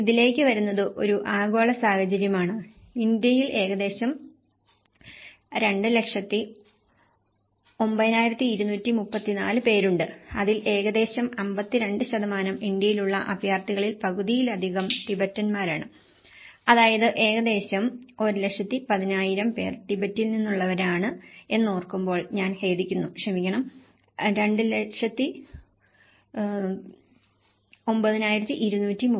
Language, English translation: Malayalam, Coming to this is a global scenario and in India, we have about nearly 209234 people of the concern out of which we have about 52% more than half of the refugees in India are Tibetans which is about 1,10,000, I am sorry this is 209234